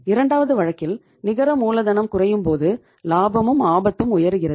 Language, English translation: Tamil, And second case is low net working capital higher the risk but the profitability is higher